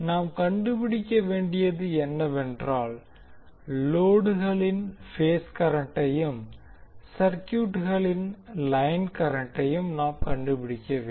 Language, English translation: Tamil, What we have to find out, we have to find out the phase current of the load and the line currents of the circuit